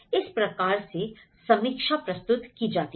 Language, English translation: Hindi, So, this is how the review is always presented